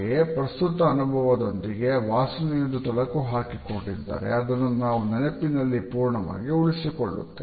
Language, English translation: Kannada, At the same time if the smell is associated with a currently occurring experience, we retain it in our memory in totality